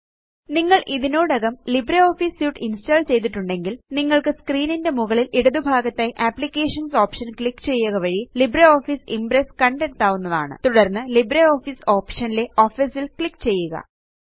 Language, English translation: Malayalam, If you have already installed LibreOffice Suite, you will find LibreOffice Impress by clicking on the Applications option at the top left of your screen and then clicking on Office and then on LibreOffice option